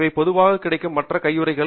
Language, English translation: Tamil, These are other form of gloves that are commonly available